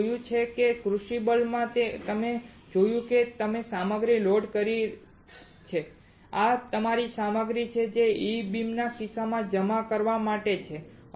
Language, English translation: Gujarati, We have seen that in a crucible you have seen that you have loaded the material this is your material to get deposited right in case of E beam